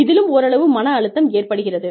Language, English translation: Tamil, There is too much of stress